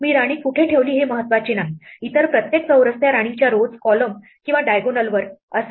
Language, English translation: Marathi, No matter where I put the queen, every other square will be on the row, column or diagonal of that queen